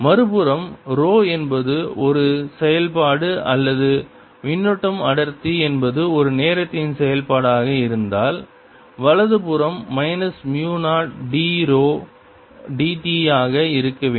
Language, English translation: Tamil, mathematics tells you that, on the other hand, if rho is a function or charge, density is a function time right hand side has to be minus mu, zero d, rho d t, which we saw earlier here